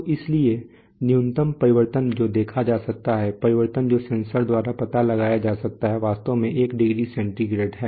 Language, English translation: Hindi, So it is, so the minimum change that can be observed, change which can be detected by the sensor is actually one degree centigrade